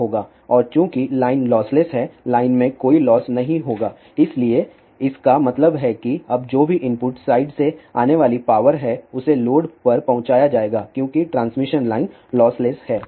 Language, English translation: Hindi, And since the line is lossless there will be no losses in the line, so that means now whatever is the power coming from the input side will be deliver to the load because the transmission line is lossless